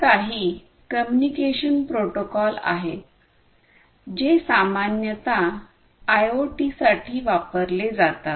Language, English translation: Marathi, So, these are some of the communication protocols that are typically used for IoT